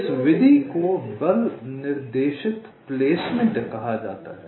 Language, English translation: Hindi, this method is called force directed placement